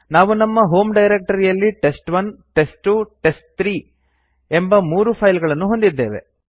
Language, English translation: Kannada, We assume that we have three files named test1 test2 test3 in our home directory